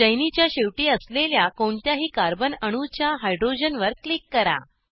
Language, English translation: Marathi, Click on hydrogen on any of the carbon atoms present at the end of the chain